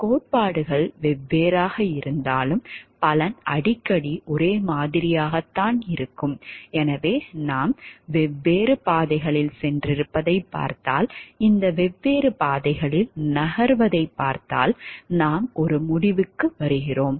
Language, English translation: Tamil, Frequently the result will be the same even though the theories are different so if we see we have taken different paths and if we see like moving through these different paths we are coming to a conclusion